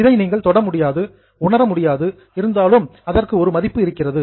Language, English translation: Tamil, Now, this is something which you cannot touch or feel, but still they have a value